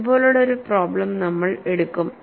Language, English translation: Malayalam, We would take up a problem like this